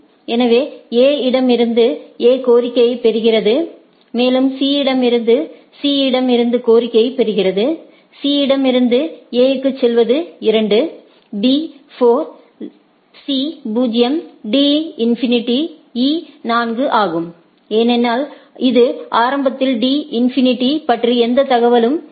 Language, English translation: Tamil, So, A receives A instance also C from C what it is receive, it to for C to go to A is 2 B 4 C 0 D infinity E 4 because, it does not have any knowledge about the D initially right